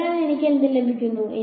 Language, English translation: Malayalam, So, what will I get